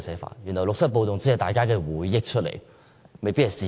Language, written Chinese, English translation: Cantonese, 難道六七暴動只是大家的回憶而不是事實？, Is the 1967 riots just everyones memories rather than facts?